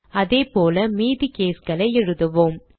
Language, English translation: Tamil, Similarly, let us type the remaining cases